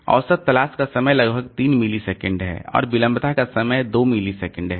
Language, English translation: Hindi, For fastest disk so average average seek time is about 3 milliseconds and latency time is 2 milliseconds